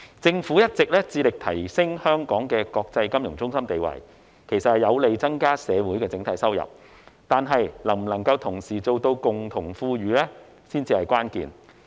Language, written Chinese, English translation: Cantonese, 政府一直致力提升香港的國際金融中心地位，其實有利增加社會整體收入，但能否同時做到共同富裕才是關鍵。, The Government has all along been endeavouring to strengthen Hong Kongs status as an international financial centre which is favourable to raising the overall income in society . Yet the key question is whether we can achieve common prosperity at the same time